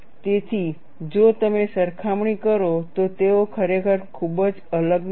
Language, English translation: Gujarati, So, if you compare, they are not really very different